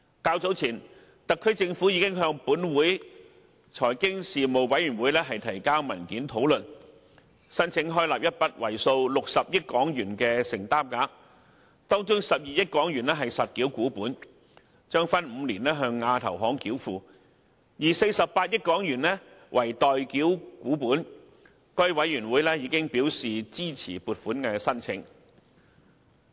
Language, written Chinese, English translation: Cantonese, 較早前，特區政府已向本會財經事務委員會提交討論文件，申請開立一筆為數60億港元的承擔額，當中12億港元為實繳股本，將分5年向亞投行繳付，另外48億港元則為待繳股本，該委員會亦已表示支持撥款申請。, Earlier the SAR Government already submitted a discussion paper to the Finance Committee applying for approval of a commitment of 6 billion comprising 1.2 billion for paid - in shares to be payable to AIIB over five years and 4.8 billion for callable shares . The Finance Committee has expressed that it would support the funding proposal